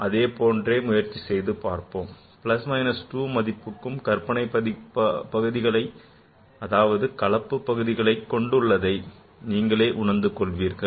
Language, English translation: Tamil, Plus minus 2 contains an imaginary that is a complex part